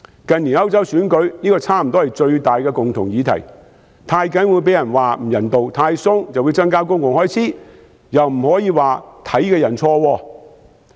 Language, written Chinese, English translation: Cantonese, 近年歐洲選舉，這差不多是最大的共同議題，太嚴謹會被人批評不人道，太寬鬆又會增加公共開支，但是，又不能說有這看法的人錯誤。, In recent years this has become almost the biggest common issue in European elections . A measure will be criticized as inhumane if it is too strict and will increase public expenditure if it is too lax but we cannot say that those holding this view are wrong